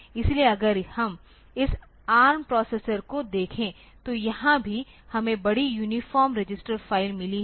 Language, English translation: Hindi, So, if we look into this ARM processor then here also we have got large uniform register file